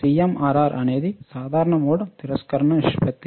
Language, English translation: Telugu, CMRR is common mode rejection ratio right